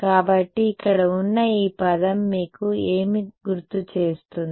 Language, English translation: Telugu, So, this term over here what does it remind you of